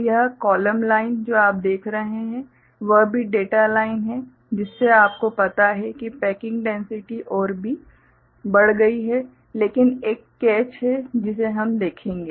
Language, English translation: Hindi, So, this column line that you see is also data line so which increases you know packing density further, but there is a catch we shall see